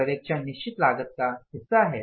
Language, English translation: Hindi, Supervision is largely the fixed cost